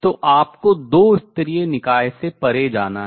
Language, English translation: Hindi, So, one goes beyond to the two level systems